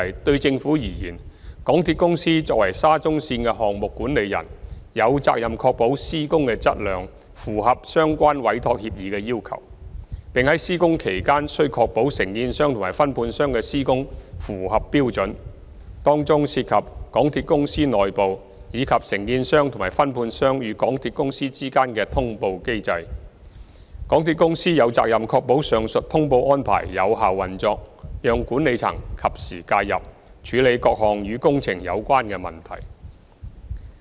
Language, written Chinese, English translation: Cantonese, 對政府而言，港鐵公司作為沙中線的項目管理人，有責任確保施工的質量符合相關委託協議的要求，並在施工期間須確保承建商和分判商的施工符合標準，當中涉及港鐵公司內部，以及承建商和分判商與港鐵公司之間的通報安排，港鐵公司有責任確保上述通報安排有效運作，讓管理層及時介入，處理各項與工程有關的問題。, In the Governments view as the project manager MTRCL is required to ensure the quality of works comply with the requirements of the Entrustment Agreement and the works carried out by the contractors and subcontractors are in compliance with the standards during construction . MTRCL shall also ensure effective operation of the relevant notification arrangements within MTRCL and between MTRCL and the contractors and subcontractors so as to allow timely intervention by the management to deal with various problems related to the works